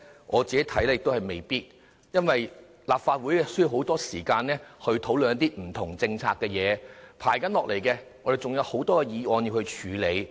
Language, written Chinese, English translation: Cantonese, 我看未必，因為立法會需要很多時間討論不同政策，接下來還有很多議案有待處理。, I think it is not necessarily so for the Legislative Council needs a lot of time to discuss various policies and there are many motions pending